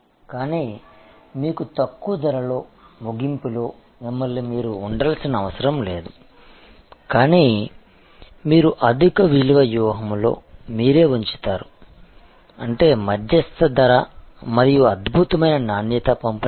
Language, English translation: Telugu, But, you need did not therefore position yourself at a low price end, but you put actually position yourself at a high value strategy; that means, medium price and excellent quality delivered